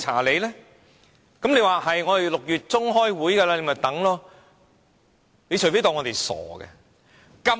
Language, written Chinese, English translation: Cantonese, 你說會在6月中旬開會，不如再等一等吧。, They say they will come for a meeting in mid - June . But well why dont they ask us to wait still longer?